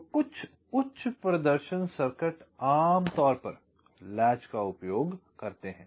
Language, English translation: Hindi, so some high performance circuits typically use latches